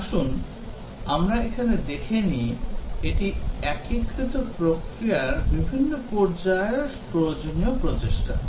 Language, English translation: Bengali, Let us see here, this is the effort required in different phases of the unified process